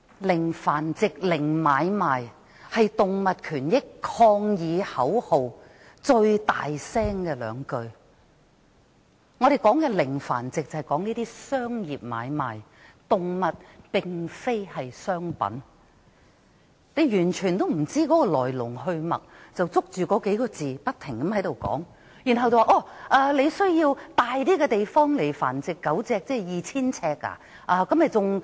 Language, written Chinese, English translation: Cantonese, "零繁殖"及"零買賣"是爭取動物權益者抗議口號中最大聲的兩句話，所說的"零繁殖"，是指商業繁殖買賣，而動物並非商品，她完全不知來龍去脈，翻來覆去批評那句話，然後說，要有較大地方來繁殖狗隻，豈非要繁殖更多狗隻？, Zero breeding refers to commercial breeding and trading of animals . Animals are not commodities . Being totally ignorant of the matter she kept criticizing such a remark and even said that a bigger place say 2 000 sq ft would be needed for dog breeding does she want to breed more dogs?